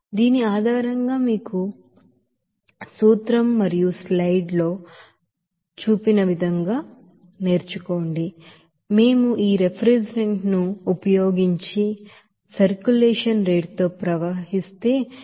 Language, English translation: Telugu, So based on this you know principle and in the slides that if we use this refrigerant and flows at a circulation rate of you know 18